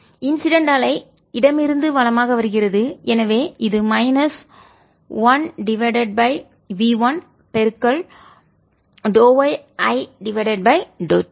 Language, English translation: Tamil, incident wave is coming from left to right and therefore this is minus one over v one d y i by d t